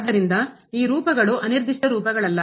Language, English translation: Kannada, So, these forms are not indeterminate forms